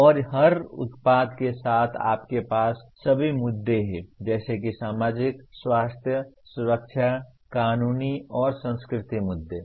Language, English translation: Hindi, And with every product you have all the issues namely societal, health, safety, legal and cultural issues